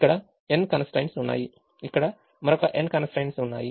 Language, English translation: Telugu, there are n constraints here there are another n constraints here